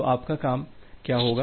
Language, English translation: Hindi, So, what your task would be